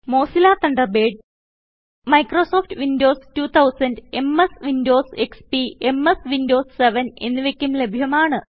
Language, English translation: Malayalam, Mozilla Thunderbird is also available for Microsoft Windows 2000 or later versions such as MS Windows XP or MS Windows 7